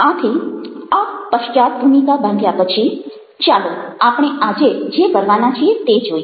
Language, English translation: Gujarati, so, having set ah this background, now lets look at what we are going to do today